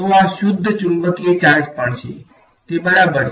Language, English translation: Gujarati, So, this is also a pure magnetic charge ok, is that fine